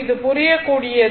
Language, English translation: Tamil, So, understandable to you